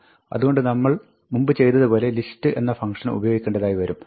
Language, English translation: Malayalam, So, you need to use the list function like we did before